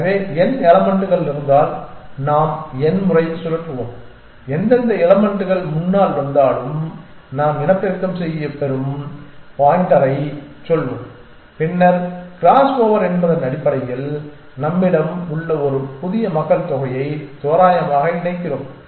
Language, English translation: Tamil, So, if there are n elements we will spin the we will n times and whichever elements comes in front of let us say the pointer we will get to reproduce essentially then crossover which basically means that we randomly pair the new population that we have